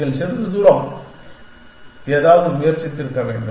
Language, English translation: Tamil, You must have tried something some time